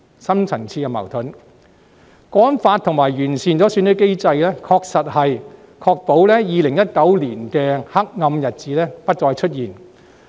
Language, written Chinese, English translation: Cantonese, 《香港國安法》和完善選舉制度，確實能確保2019年的黑暗日子不再出現。, With the implementation of the Hong Kong National Security Law and the measures to improve our electoral system we can really rest assured that the dark days in 2019 will not return